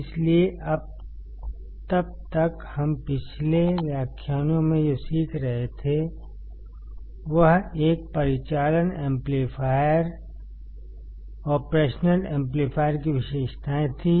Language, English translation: Hindi, So, until then what we were learning in the previous lectures were the characteristics of an operational amplifier